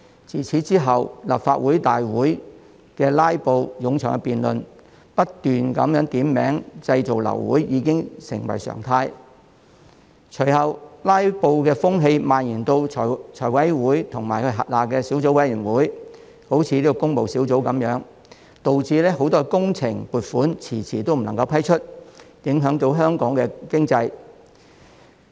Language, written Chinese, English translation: Cantonese, 自此之後，立法會會議的"拉布"、冗長辯論、不停點名製造流會等情況已成為常態；隨後，"拉布"的風氣蔓延至財務委員會及轄下的小組委員會，例如工務小組委員會，導致很多工程撥款遲遲未能批出，影響香港經濟。, Since then filibusters in the Legislative Council lengthy debates and aborted meetings due to ceaseless calls for quorum had become the norm . The use of filibusters had subsequently spread to the Finance Committee and its subcommittees such as the Public Works Subcommittee which had stalled the process of approving the funding requests of many works projects and thus affected Hong Kongs economy